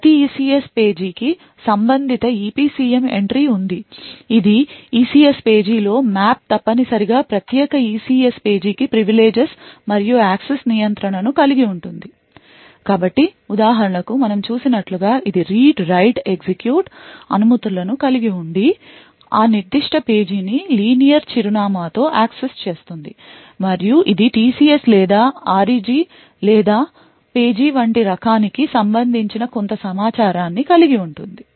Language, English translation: Telugu, Every ECS page has a corresponding EPCM entry that is the ECS page map which contains essentially the privileges and the access control for that particular ECS page, so for example as we have seen it has the read write execute permissions the address the linear address will access that particular page and also it has some information regarding the page type such as whether it is TCS or REG or so on